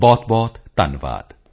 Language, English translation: Punjabi, Thank you very very much